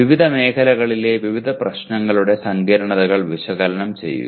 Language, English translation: Malayalam, Analyze the complexities of various problems in different domains